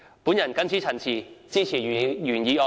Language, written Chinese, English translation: Cantonese, 我謹此陳辭，支持原議案。, With these remarks I support the original motion